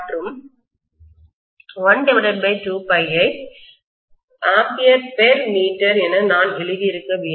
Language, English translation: Tamil, And 1 by 2 phi, I should have written as ampere per meter